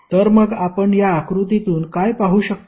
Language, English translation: Marathi, So, what we can see from this figure